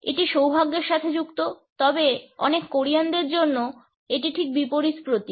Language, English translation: Bengali, It is associated with good luck, but for many Koreans it symbolizes just the opposite